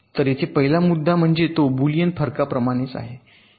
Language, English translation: Marathi, the first point is that it is similar in concept to boolean difference